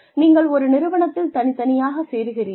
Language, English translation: Tamil, Individually, you join an organization